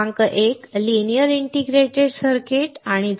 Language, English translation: Marathi, Number one, is linear integrated circuits